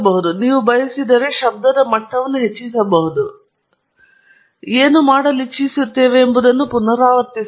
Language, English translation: Kannada, You can add… if you want, you can increase the levels of noise and repeat whatever we are going to do